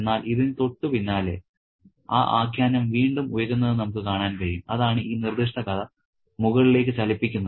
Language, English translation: Malayalam, But right after this, we can see the narrative rise again, you know, that's the upward movement of this particular story